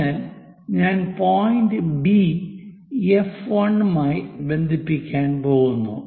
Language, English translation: Malayalam, So, if I am going to connect point B with F 1, the line will be this one